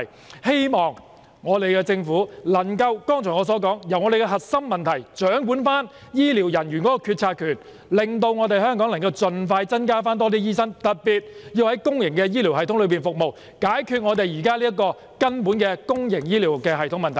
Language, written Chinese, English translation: Cantonese, 我希望政府可以處理我剛才所說的核心問題，掌管醫療人員的決策權，令香港可以盡快增加更多醫生人手，特別是在公營醫療系統中服務的人手，以解決現時公營醫療的根本問題。, I hope that the Government can deal with the core problem that I mentioned just now and assume the power to make policies on healthcare workers so as to expeditiously increase the manpower of doctors in Hong Kong especially those serving in the public healthcare system with a view to resolving the fundamental problem in the public healthcare sector